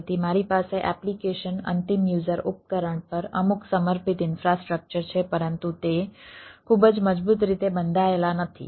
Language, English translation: Gujarati, so i have some dedicated infrastructure over application end user devices, but they are not very strongly bound